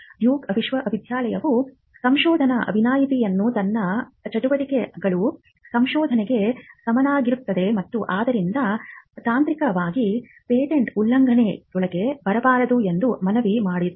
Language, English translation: Kannada, Duke University pleaded research exception saying that its activities would amount to research and hence, it should not technically fall within patent infringement